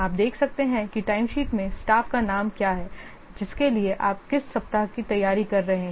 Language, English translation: Hindi, You can see in the timesheet is there what is the staff name, the for which week you are preparing